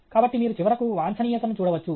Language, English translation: Telugu, So you can see that finally, the optimum